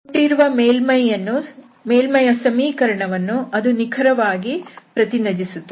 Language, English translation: Kannada, So, that will exactly represent the given surface, the equation of the given surface